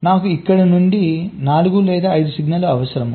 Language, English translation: Telugu, so i need four or five of the signals from here